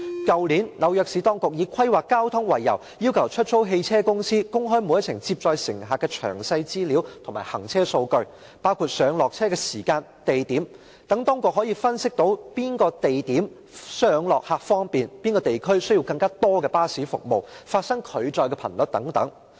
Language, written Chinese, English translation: Cantonese, 去年，紐約市當局以規劃交通為由，要求出租汽車公司公開每一程接載乘客的詳細資料及行車數據，包括上落客的時間和地點，以便當局分析哪個地點上落客較為方便、哪個地區需要更多巴士服務、發生拒載的頻率等。, Last year on the grounds of traffic planning the authorities in New York City requested hire car companies to disclose details and running data of each passenger trip including the time and place of pickup and drop - off to analyse which locations were more convenient for pickup and drop - off which areas needed more bus services the frequency of refusing hire etc